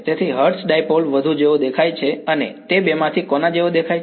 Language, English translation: Gujarati, So, hertz dipole looks more like a which of the two does it look like